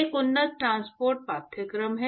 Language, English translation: Hindi, There is an advanced transport course